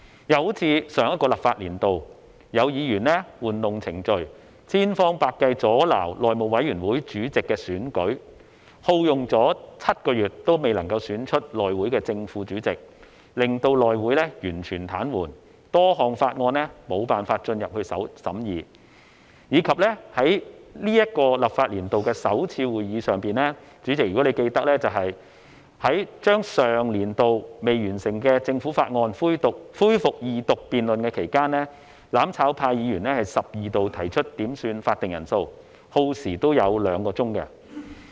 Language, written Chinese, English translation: Cantonese, 又正如上個立法年度，有議員玩弄程序，千方百計阻撓內務委員會主席的選舉，耗用7個月仍未能選出內會的正副主席，令內會完全癱瘓，多項法案無法審議，以及在本立法年度的首次會議上，主席，如你記得，在將上年度未完成的政府法案恢復二讀辯論期間，"攬炒派"議員十二度提出要求點算法定人數，亦耗時兩小時。, The House Committee spent seven months on the election but was still unable to elect its Chairman and Deputy Chairman . The House Committee was paralysed and unable to consider any bills . And if you still remember President at the first Legislative Council meeting of this legislative session at the Resumption of Second Reading debates on the unfinished Government Bills from the previous session Members of the mutual destruction camp requested 12 headcounts which cost two hours in total